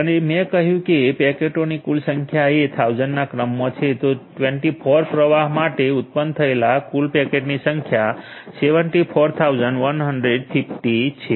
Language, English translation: Gujarati, And as I have mentioned the total number of packets is in the order of 1000s so, for 24 flows the total number of packets are generated 74150